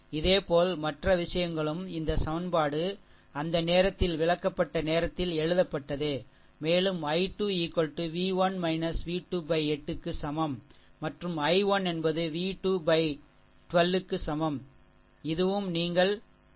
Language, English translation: Tamil, Similarly, other thing also this equation also we wrote at that time of explanation, and i 2 is equal to than v 1 minus v to upon 8, and i 1 is equal to b 2 by 12 this also you have written, right so, clean it right